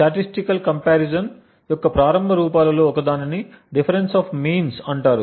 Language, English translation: Telugu, One of the earliest forms of statistical comparison is known as the Difference of Means